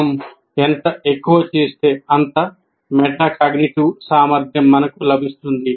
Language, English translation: Telugu, The more we do that, the more metacognitive ability that we will get